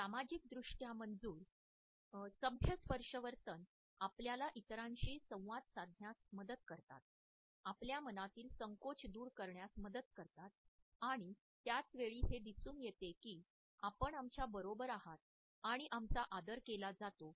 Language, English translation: Marathi, Socially sanctioned polite touch behaviors help us to initiate interaction with others, help us to overcome our hesitations and at the same time it shows us that we are included in our team and that we are respected by others